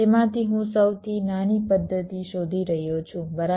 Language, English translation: Gujarati, out of that i am finding the smallest method right